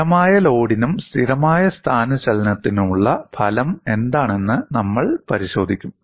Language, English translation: Malayalam, And we would look at what is the result for a constant load as well as constant displacement